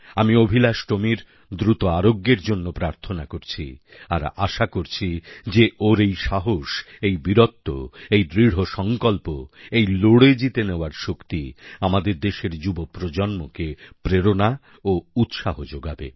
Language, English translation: Bengali, I pray for Tomy's sound health and I am sure that his courage, bravery and resolve to fight and emerge a winner will inspire our younger generation